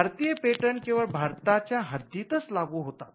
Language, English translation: Marathi, So, an Indian patent can only be enforced within the boundaries of India